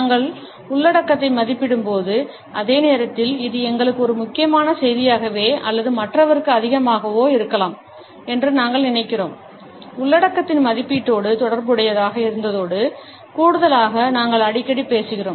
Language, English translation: Tamil, When we are evaluating the content and at the same time, we think that this might be an important message either to us or more to the other person often we are talking to in addition to be associated with the evaluation of content